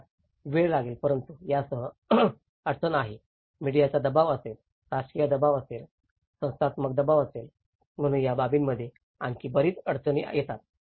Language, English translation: Marathi, It will take time but the problem with this is the media pressure will be there, the political pressure will be there, the institutional pressure will be there, so a lot of constraints which will add on to this aspect